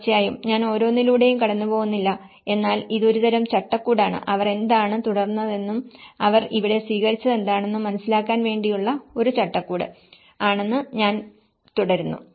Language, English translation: Malayalam, Of course, I am not going through each and everything but I am just flipping through that this is a kind of framework to set up, to get an understanding of what they have continued and what they have adapted here